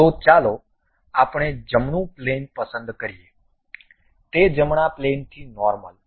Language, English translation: Gujarati, So, let us pick a right plane, normal to that right plane